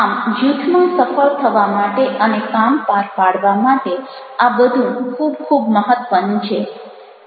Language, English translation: Gujarati, so these all are very, very important to become a very successful ah in the group and getting the work done